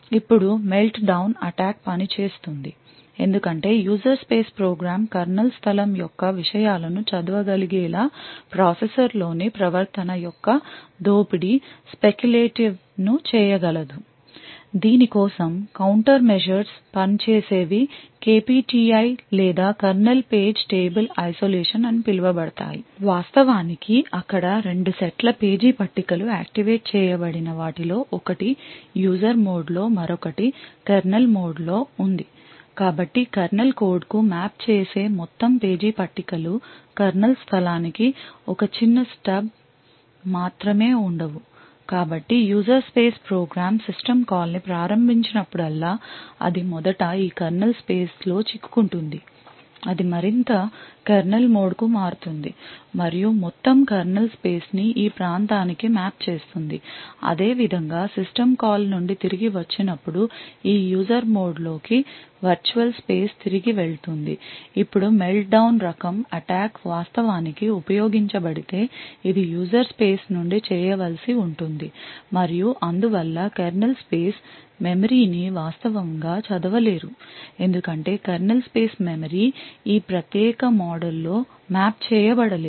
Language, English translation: Telugu, Now the Meltdown attack works because a user space program could exploit the speculative of behavior off the processor to be able to read contents of the kernel space the countermeasures work for this was known as KPTI or Kernel page table isolation in fact there where two sets of page tables one known of one which was activated in the was on user mode the other in the kernel mode so in the use of what the entire page tables that map to the kernel code was not present only a small stub for the kernel space was present so whenever the user space program invokes a system call it would be first trapped into this kernel space which would then shift more to the kernel mode and map the entire kernel space into the region similarly on return from the system call the virtual space would go back into this user mode now if a Meltdown type of attack was actually utilized it has to be done from the user space and therefore would not be able to actually read any of the kernel space memory because the kernel space memory is not mapped in this particular mode